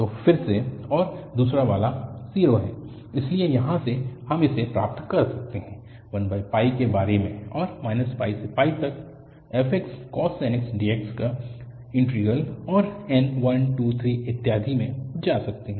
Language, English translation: Hindi, So again, and the second one is 0, so from here, we can get this an equal to 1 over pi and integral minus pi to pi fx cos nx dx and n can go 1, 2, 3, and so on